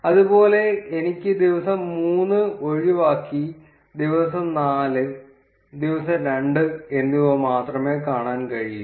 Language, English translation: Malayalam, Similarly, I can skip day 3 and see only for day 4 and day 2